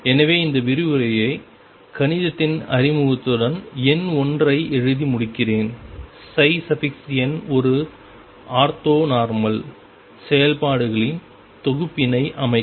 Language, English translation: Tamil, So, let me conclude this lecture with introduction to mathematics by writing number 1, psi n form a an ortho normal set of functions